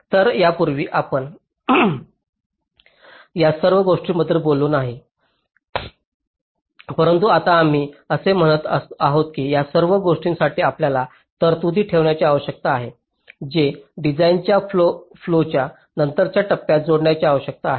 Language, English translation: Marathi, so this earlier we did not talk about all these things, but now we are saying that we need to keep provisions for all these things which need to be added in later stages of the design flow